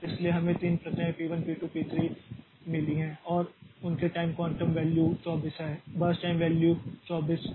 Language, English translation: Hindi, So, we have got 3 processes, p 1, p2 and p 3 and their time quantum values are 24, burst time values are 3, or 3 and 3